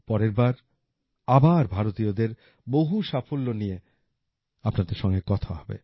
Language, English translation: Bengali, Next time we will talk to you again about the many successes of our countrymen